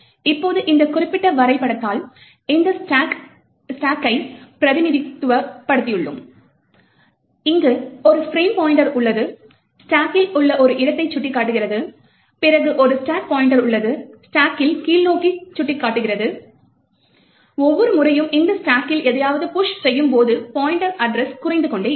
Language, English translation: Tamil, Now we have represent this stack by this particular diagram, so we have a frame pointer, pointing to a location in the stack and we have a stack pointer, pointing lower down in the stack, every time we push something onto this stack, the stack pointer address reduces as we keep pushing into the stack